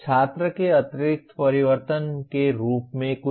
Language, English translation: Hindi, Something as internal change of the student